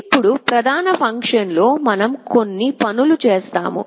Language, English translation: Telugu, Now, in the main function we have done a few things